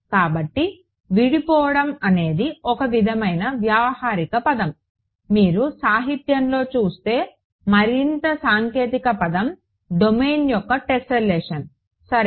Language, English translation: Telugu, So, breaking up is a sort of a colloquial word, the more technical word you will see in the literature is tesselation of the domain ok